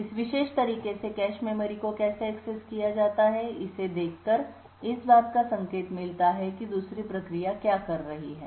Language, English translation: Hindi, In this particular way by tracing the how the cache memories have been accessed would get an indication of what the other process is doing